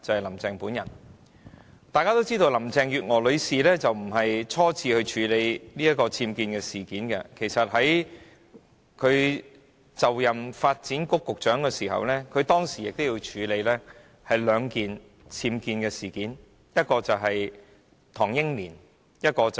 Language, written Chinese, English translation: Cantonese, 一如大家所知，這並非林鄭月娥女士初次處理僭建事件，在她擔任發展局局長時，其實已曾處理兩宗僭建事件，分別涉及唐英年和梁振英。, We all know that this is not the first time that Carrie LAM has handled incidents concerning UBWs and she has in fact handled two cases of such a nature when she was the Secretary for Development one involving Henry TANG and another involving LEUNG Chun - ying